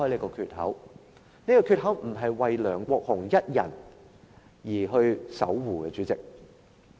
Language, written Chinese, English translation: Cantonese, 主席，這個缺口不是為梁國雄議員一人而守護的。, President we are guarding for Mr LEUNG Kwok - hung alone